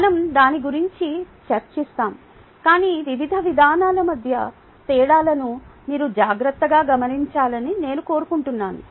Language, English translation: Telugu, ok, what i would like you to do is carefully note the differences between the various approaches